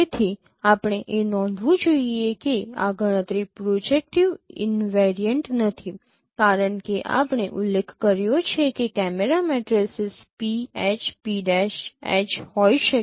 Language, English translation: Gujarati, So you should note that this computation is not projective invariant because as we mentioned that your camera coordinate your camera matrices could have been pH P